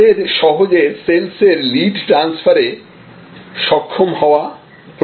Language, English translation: Bengali, They should be able to easily transfer a sales lead